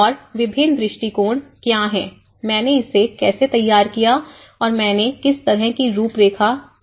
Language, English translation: Hindi, And what are the various approaches, how I framed it and what kind of framework I worked on things like that